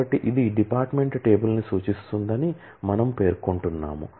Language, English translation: Telugu, So, we are specifying that it references the department table